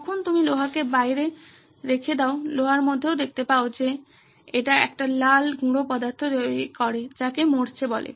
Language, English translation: Bengali, What you see in iron when you leave iron out, it develops a red powdery substance that is called rust